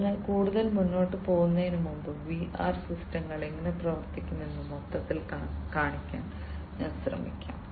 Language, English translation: Malayalam, So, before going any further, let me just try to show you how overall how these VR systems are going to operate